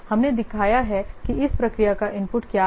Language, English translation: Hindi, So everything, so we have shown what is the input to this process